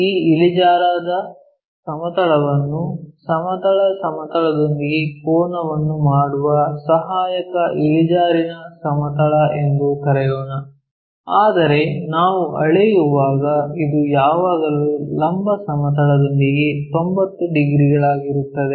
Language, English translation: Kannada, So, this plane AIP let us call this inclined plane, Auxiliary Inclined Plane making an angle with the horizontal plane, but when we are measuring this is always be 90 degrees with the vertical plane